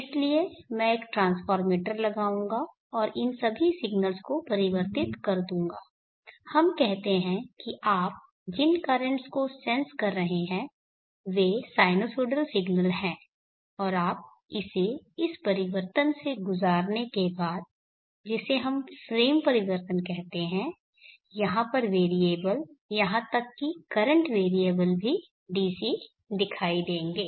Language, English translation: Hindi, So that is the AC domain and this region will be the DC domain, so I will put a transfer meter and convert all these signals let us say the currents that you are sensing are sinusoidal signals and after you pass it through this transformation, what we call frame transformation the variable here even the current variable here will appear DC